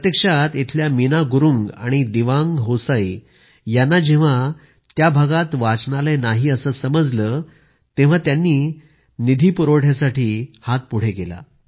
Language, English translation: Marathi, In fact, when Meena Gurung and Dewang Hosayi from this village learnt that there was no library in the area they extended a hand for its funding